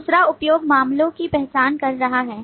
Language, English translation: Hindi, Second is identifying use cases